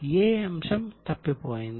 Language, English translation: Telugu, Which item is missing